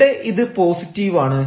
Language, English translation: Malayalam, now, this is positive